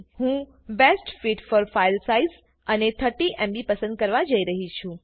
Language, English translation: Gujarati, Im going to choose Best fit for file size and 30MB